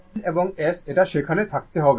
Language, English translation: Bengali, N and S it has to be there